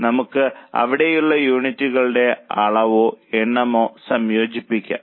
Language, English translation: Malayalam, So, we can incorporate the quantity or number of units there